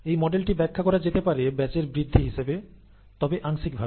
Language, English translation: Bengali, This model can be used to describe batch growth, but only in parts